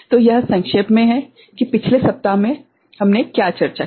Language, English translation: Hindi, So, this is in brief what we discussed in the last week